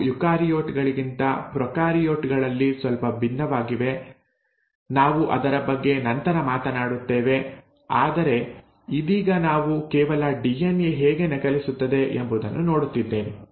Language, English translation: Kannada, They are slightly different in prokaryotes than in eukaryotes, we will talk about that later, but right now we are just looking at exactly how DNA copies itself